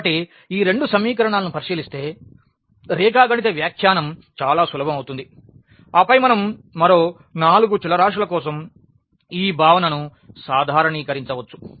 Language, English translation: Telugu, So, considering this these two equations because, the geometrical interpretation will be very easy and then we can generalize the concept for 4 more variables